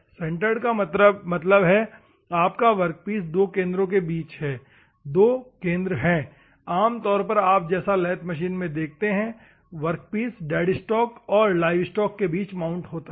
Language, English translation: Hindi, Centered means you have between centres two centres are there normally you see the lathe the workpiece is held between dead stock and livestock